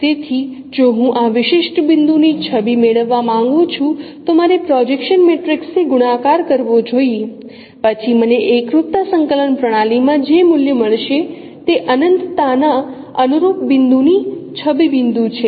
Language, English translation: Gujarati, So if I want if I would like to get the image of this particular point, so I should multiply with the projection matrix then whatever no value I would get in the homogeneous coordinate system that is the image point to the corresponding point at infinity